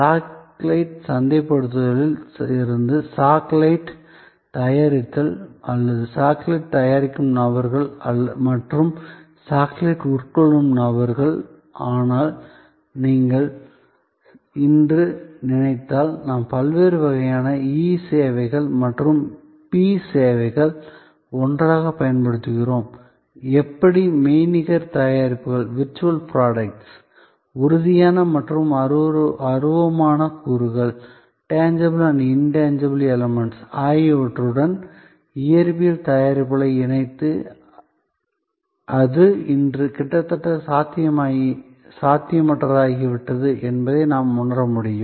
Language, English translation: Tamil, The manufacturing of the chocolate from the marketing of the chocolate or the people who produce chocolates and people who consume chocolates, but if you think through the way today we use various kinds of e services and p services that physical services together, how we inter mix physical products with virtual products, tangible and intangible elements, we will able to realize that it has become almost impossible today